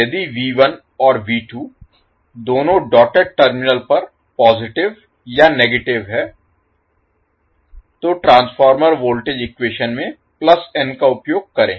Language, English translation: Hindi, So, what are those rules, if V1 and V2 are both positive or both negative at the dotted terminals, we use plus n in the transformer voltage equation